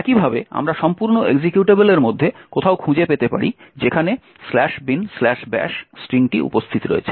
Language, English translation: Bengali, In a similar way we can find somewhere in the entire executable where the string slash bin slash bash is present